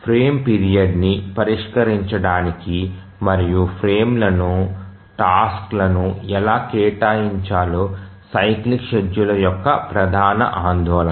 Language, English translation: Telugu, So, as far as the cyclic schedulers are concerned, one important question to answer is that how to fix the frame duration and how to assign tasks to the frames